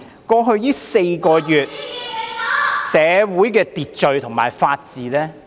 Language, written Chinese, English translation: Cantonese, 過去4個月，社會的秩序和法治......, In the past four months social order and the rule of law